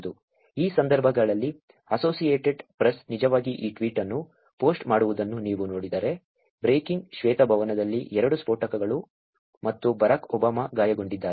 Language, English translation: Kannada, In this case, if you see The Associated Press is actually posting this tweet called, ‘Breaking: Two explosions in the white house and Barack Obama is injured’